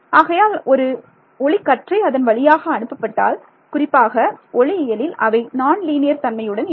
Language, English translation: Tamil, So, might a what beam as sent through it, but in optics particularly they are there are non linearity